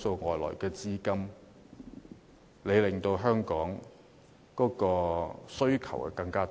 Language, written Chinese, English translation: Cantonese, 非本地資金令香港的物業需求大增。, Non - local capital has significantly boosted the demand for Hong Kong properties